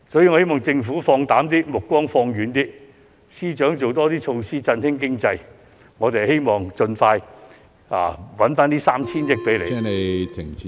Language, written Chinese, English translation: Cantonese, 我希望政府放膽一點，目光放遠一點，亦希望司長可以推行更多措施振興經濟，讓我們盡快為政府賺回該 3,000 億元......, It is my hope that the Government will be more decisive and far - sighted . The Financial Secretary should also introduce additional economic stimuli so that we can earn back the 300 billion for the Government as soon as possible